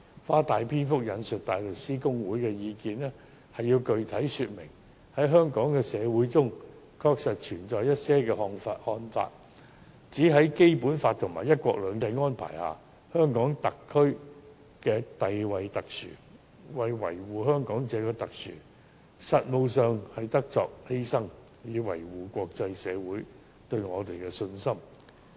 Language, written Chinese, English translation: Cantonese, 我長篇大論引述大律師公會的意見，無非想具體說明，在香港社會中確實存在一些看法，認為在《基本法》和"一國兩制"的安排下，香港特區地位特殊；為了維護香港這種獨特性，在實務上便得作出犧牲，以維護國際社會對我們的信心。, By quoting the opinion of HKBA at length I seek merely to specify the fact that there are indeed some people in Hong Kong society who hold that the HKSAR enjoys a special status under the Basic Law and the arrangement of one country two system and that such uniqueness of Hong Kong must be safeguarded at the expense of pragmatism so as to uphold the confidence of the international community in us